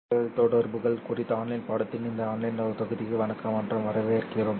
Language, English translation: Tamil, Hello and welcome to this online module of online course on optical communications